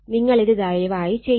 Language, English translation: Malayalam, So, in that case, you please do it